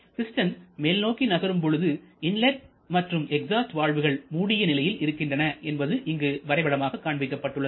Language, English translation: Tamil, This is a pictorial representation when the piston is moving upwards both inlet and exhaust valves are closed